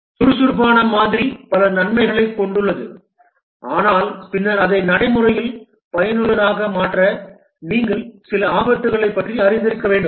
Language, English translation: Tamil, The Agile model has many advantages but then to make it practically useful you must be aware of some pitfalls